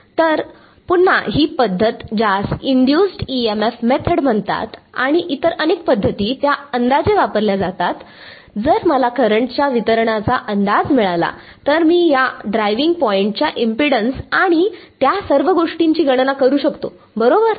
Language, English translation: Marathi, So, again this was method which is called the Induced EMF method and various other methods, they are used to approximate, if I can get an approximation of the current distribution then I can calculate this driving point impedance and all that right